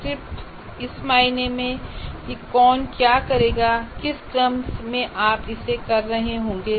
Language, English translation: Hindi, Script in sense, what exactly, who will do what and in what sequence we will be doing